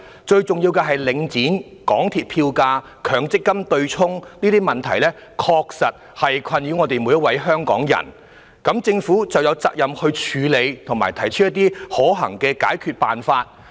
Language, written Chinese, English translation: Cantonese, 最重要的是，領展、港鐵票價及強積金對沖等問題確實困擾所有香港人，因此政府有責任處理及提出可行的解決辦法。, The most important point is that the issues related to Link REIT the fares of MTRCL and the offsetting mechanism under MPF are really troubling all Hong Kong people so the Government has the responsibility to deal with them and propose feasible solutions